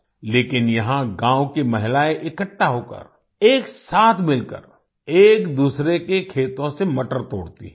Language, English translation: Hindi, But here, the women of the village gather, and together, pluck peas from each other's fields